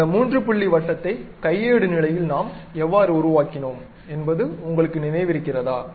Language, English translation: Tamil, Ah Do you remember like how we have constructed that three point circle at manual level